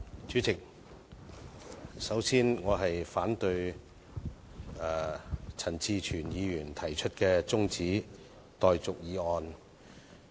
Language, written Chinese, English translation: Cantonese, 主席，我發言反對陳志全議員提出的辯論中止待續議案。, President I rise to speak in opposition to the motion moved by Mr CHAN Chi - chuen on adjourning the debate